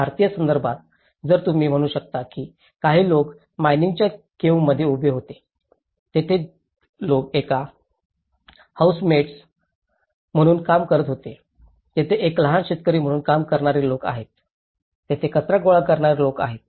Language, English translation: Marathi, In Indian context, if you can say there was some people who place with mine caves, there people who was working as a housemaids, there are people who are working as a small farmers, there people who are working as a garbage collectors